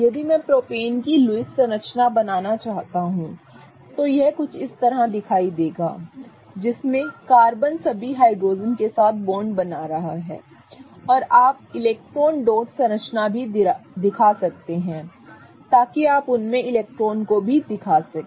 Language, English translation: Hindi, If I want to draw loose structure of propane it will look somewhat like this wherein carbon is forming bonds with all the hydrogens right and you may also show electron dot structure so you may also show the electrons in them